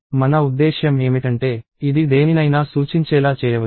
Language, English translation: Telugu, What I mean by that is, it can be made to point at anything